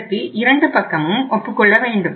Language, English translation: Tamil, Both the sides have to agree